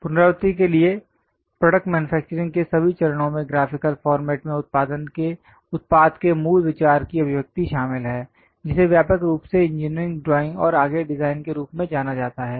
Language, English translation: Hindi, To recap all phases of manufacturing a product involved expressing basic ideas into graphical format widely known as engineering drawing and further design